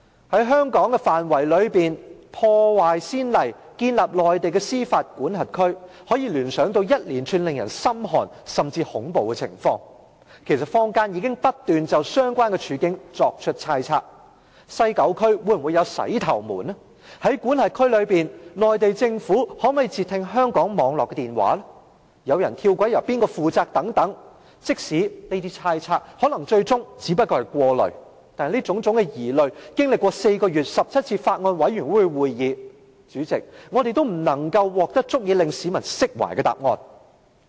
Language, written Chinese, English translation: Cantonese, 在香港範圍內破壞先例，建立內地的司法管轄區，可以聯想到一連串令人感到心寒甚至恐怖的情況，其實坊間已不斷就相關處境作出猜測：西九區內會否出現"洗頭門"、在管轄區內中國政府可否截聽香港網絡的電話、有人跳軌由誰負責等，即使這些猜測可能最終只不過是過慮，但這種種疑慮，經歷4個月17次法案委員會會議後，代理主席，我們仍未能獲得足以令市民釋懷的答案。, It reminds people a host of chilling and even terrifying incidents . Members of the public have made a lot of speculations on the relevant situations such as whether incidents of shampoo gate would occur at the West Kowloon Station whether the Chinese authorities could intercept telephone calls from the Hong Kong telecommunications network and which side would take action if someone jumped onto the railway track . Even though these speculations may eventually be unnecessary worries we have yet to receive satisfactory answers that can dispel public concerns after holding 17 Bills Committee meetings in four months Deputy President